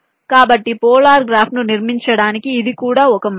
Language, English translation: Telugu, ok, so this is also one way to construct the polar graph now